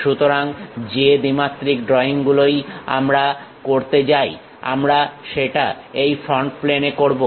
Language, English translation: Bengali, So, whatever the 2 dimensional drawings we go we are going to do we will do it on this front plane